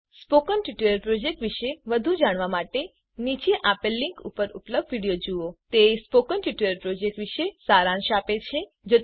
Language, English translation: Gujarati, To know more about the Spoken Tutorial project, watch the video available at the following link, it summarises the spoken tutorial project